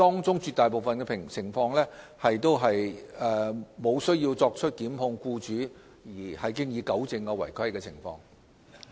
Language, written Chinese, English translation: Cantonese, 在絕大部分情況下，積金局無需對僱主作出檢控，便已糾正違規情況。, Under most circumstances MPFA has rectified the irregularities without resorting to prosecutions against the employers